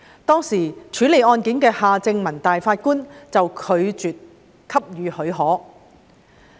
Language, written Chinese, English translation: Cantonese, 當時處理案件的法官夏正民拒絕給予許可。, Mr Justice Michael John HARTMANN who dealt with the case at that time refused to grant such leave